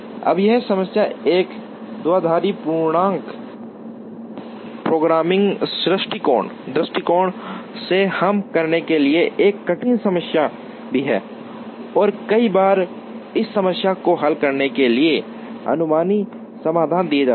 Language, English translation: Hindi, Now, this problem is also a difficult problem to solve from a binary integer programming point of view and many times, heuristic solutions are given to solve this problem